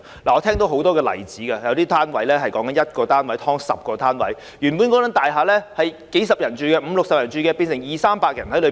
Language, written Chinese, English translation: Cantonese, 我聽到很多例子，有單位 "1 劏 10"， 原本只有五六十人居住的大廈，變成容納二三百人。, I have heard numerous examples of the following situation . After some residential flats have been subdivided into 10 units the buildings concerned which originally housed only 50 to 60 people have turned out accommodating 200 to 300 people